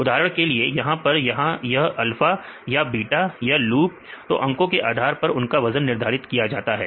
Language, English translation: Hindi, For example, here this is alpha or beta or loop; so if we depending upon the numbers we get they will assign